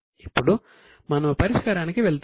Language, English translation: Telugu, Now we will go to the solution segment